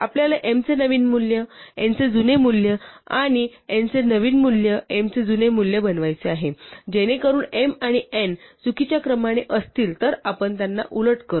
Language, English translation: Marathi, We want to make the new value of m, the old value of n and the new value of n, the old value of m, so that in case m and n were in the wrong order we reverse them